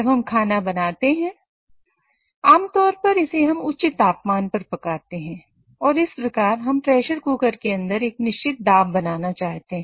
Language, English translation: Hindi, So when we cook, we typically want to cook it at a higher temperature and thus we want to maintain a certain pressure inside the pressure cooker